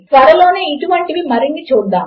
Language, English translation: Telugu, Well see a few more of these soon